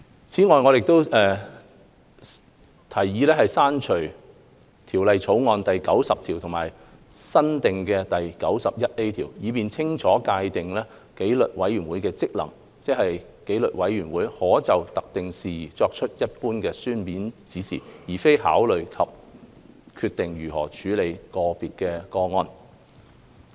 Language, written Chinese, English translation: Cantonese, 此外，我們提議刪除《條例草案》第90條和加入新訂的第 91A 條，以更清楚界定紀律委員會的職能，即紀律委員會可就特定事宜作出一般書面指示，而非考慮及決定如何處理個別個案。, Furthermore we have proposed to delete clause 90 and add in new clause 91A to clarify the functions of disciplinary committee stipulating that the disciplinary committee may give general written directions on specific matters instead of considering or deciding how a case should proceed